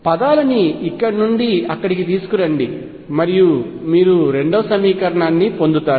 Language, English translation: Telugu, Bring the terms from here to there and you get the second equation